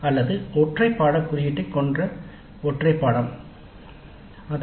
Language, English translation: Tamil, That means it is a single course with a single course code